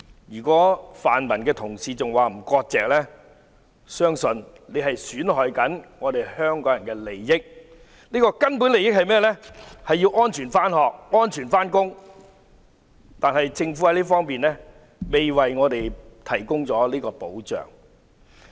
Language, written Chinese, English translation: Cantonese, 如果泛民的同事仍然不割席，我相信他們正在損害香港人的利益，而這個根本的利益是市民能安全上學、上班，但政府卻未能為我們提供這方面的保障。, If Honourable colleagues from the pan - democracy camp still do not sever ties with it I believe they are causing harm to Hongkongers interest . And such a fundamental interest is that people can safely go to school and work but the Government has failed to afford us such protection